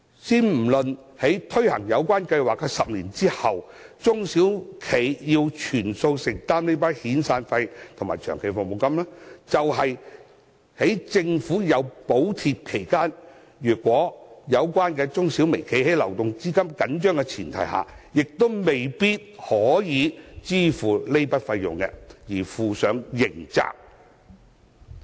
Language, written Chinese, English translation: Cantonese, 先不論在推行有關計劃10年後，中小微企須全數承擔遣散費及長期服務金，即使在政府提供補貼期間，如果有關中小微企因流動資金緊張而未能夠支付這筆費用，亦要負上刑責。, SMEs and micro - enterprises are criminally liable to any defaults in severance payments or long service payments despite due to tight cash flow during the government subsidy period to say nothing of their need to shoulder the full share of severance payments or long service payments after the 10 - year period